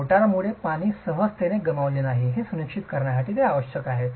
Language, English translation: Marathi, This is essential to ensure that water is not lost by the mortar very easily